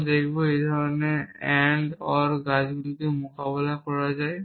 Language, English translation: Bengali, We will see how this kind of AND OR trees is a tackled